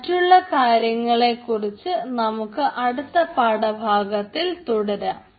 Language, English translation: Malayalam, we will continue with other things in the next lecture